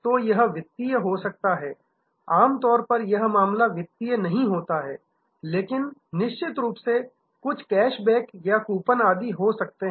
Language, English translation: Hindi, So, it can be financial, usually this is not the case, but of course, there are some cash backs or coupons, etc